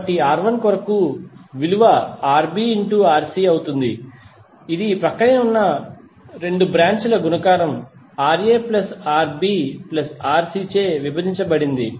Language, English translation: Telugu, So for R1, the value would be Rb into Rc, that is the multiplication of the adjacent 2 branches divided by Ra plus Rb plus Rc